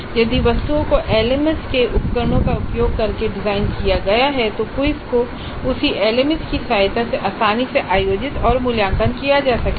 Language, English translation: Hindi, If items are designed using the tools of an LMS then as we just know sir the quizzes can be readily conducted and evaluated with the help of the same LMS